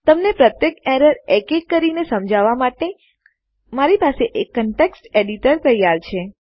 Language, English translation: Gujarati, I have got a context editor ready to take you through each error one by one